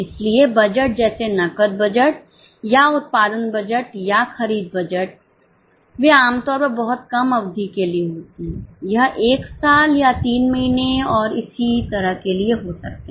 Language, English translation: Hindi, So, budgets like cash budget or production budget or purchase budgets, they are typically for much shorter period